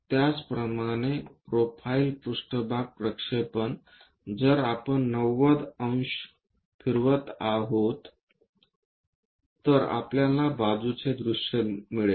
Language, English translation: Marathi, Similarly, the profile plane projection if we are going torotate it 90 degrees, we will get a side view